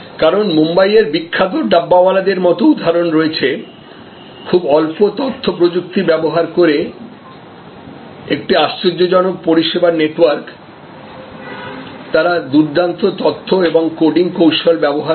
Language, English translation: Bengali, Because, there are examples like the famous Dabbawalas of Mumbai, an amazing service network using very little of information technology, they do use excellent information and coding techniques